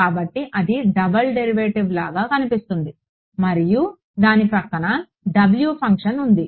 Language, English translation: Telugu, So, there is a it seems to be a double derivative right and there is a W function next to it right